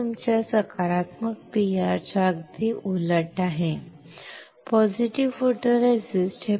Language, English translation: Marathi, This is the exactly opposite of your positive PR; positive photoresist